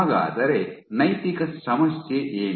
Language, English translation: Kannada, So, what is the ethical issue